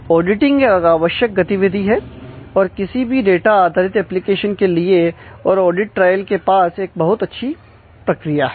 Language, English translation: Hindi, So, auditing is necessarily a very required, in a very required activity for any data based application and audit trail had a good mechanism for that